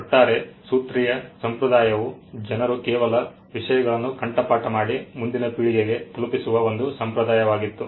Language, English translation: Kannada, The overall formulaic tradition was a tradition by which people just memorized things and passed it on to the next generation